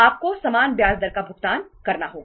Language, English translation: Hindi, You have to pay the same rate of interest